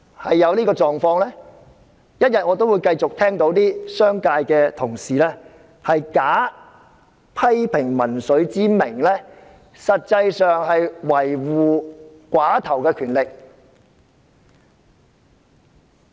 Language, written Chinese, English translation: Cantonese, 只要這種情況持續，我仍會繼續聽到商界同事假批評民粹之名，維護寡頭權力。, So long as this situation continues I will still find colleagues from the business sector defending oligarchic powers by criticizing populism